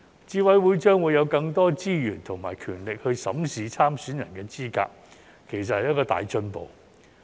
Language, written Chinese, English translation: Cantonese, 資審會將會有更多資源及權力審視參選人的資格，其實是一個大進步。, The fact that CERC will have more resources and power to assess the eligibility of candidates is actually a big step forward